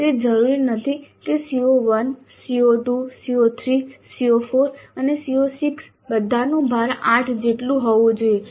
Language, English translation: Gujarati, It is not necessary that CO1, CO2, CO3, CO4 and CO6 all must carry the same weight of 8